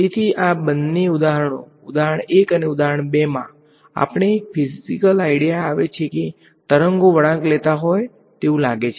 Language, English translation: Gujarati, So, in both of these examples example 1 and example 2, we get a physical idea that waves are seeming to bend ok